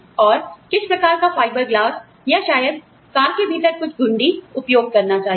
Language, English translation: Hindi, And, what type of fiber glass to use, for maybe, some knobs within the car